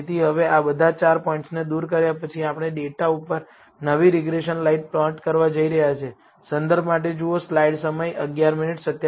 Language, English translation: Gujarati, So, now, after removing all these four points, we are going to plot the new regression line over the data